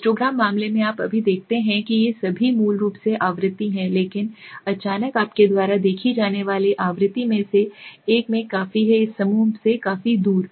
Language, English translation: Hindi, In a histogram case you see now all these are the basically the frequency but suddenly one of the frequency you see is quite at a, quite far away from this group